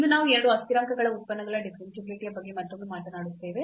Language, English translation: Kannada, And today we will talk about again Differentiability of Functions of Two Variables